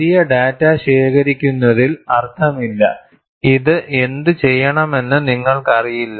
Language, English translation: Malayalam, There is no point in collecting voluminous data and you find, you do not know what to do with it